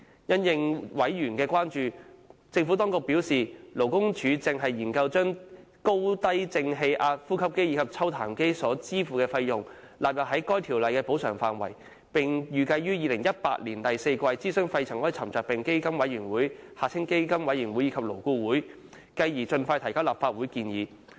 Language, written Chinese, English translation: Cantonese, 因應委員的關注，政府當局表示，勞工處正研究將使用高低正氣壓呼吸機及抽痰機所支付的費用納入《條例》的補償範圍，並預計於2018年第四季諮詢肺塵埃沉着病補償基金委員會和勞工顧問委員會，繼而盡快把相關建議提交立法會。, In response to members concerns the Administration has advised that the Labour Department LD is conducting a study on the expansion of compensation scope under PMCO to cover expenses for using non - invasive positive pressure ventilation devices and sputum suction devices . LD expects to consult the Pneumoconiosis Compensation Fund Board PCFB and the Labour Advisory Board in the fourth quarter of 2018 and will then submit the proposal to the Legislative Council as soon as possible